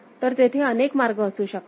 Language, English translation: Marathi, So, there could be multiple ways